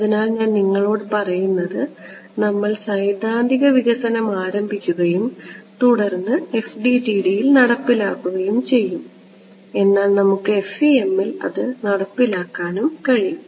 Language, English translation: Malayalam, So, what I am telling you we will start with the theoretical development then implementation in FDTD, but we could also implement in FEM right